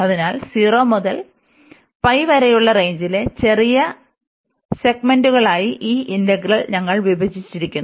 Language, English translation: Malayalam, So, this integral 0 to infinity, we have broken into several this is small segments over the range